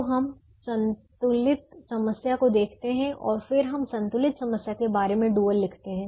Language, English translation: Hindi, so we look at the balanced problem and then we write the dual of the balanced problem